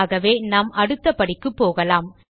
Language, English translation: Tamil, So let us go to the next step